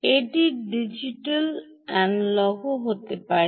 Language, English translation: Bengali, it can also be analog to digital